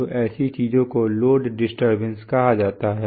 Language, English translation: Hindi, So such things are called load disturbances